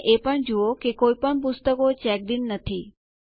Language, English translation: Gujarati, Also notice that none of the books are checked in